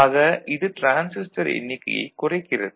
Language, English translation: Tamil, That reduces the transistor count ok